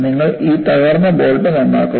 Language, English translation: Malayalam, You look at this broken bolt